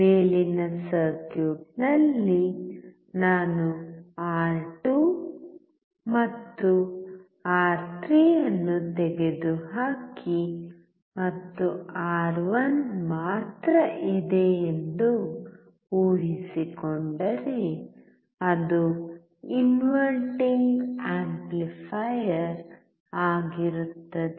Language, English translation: Kannada, In the above circuit, if I remove R2 and R3 and keep only R1, it will be an inverting amplifier